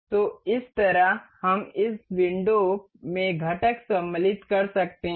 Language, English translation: Hindi, So, in this way we can insert components in this window